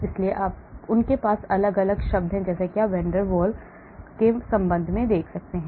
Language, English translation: Hindi, so they have different terms as you can see with respect to van der Waal